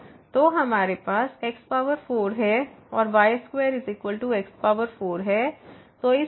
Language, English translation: Hindi, So, we have power 4 and square is power 4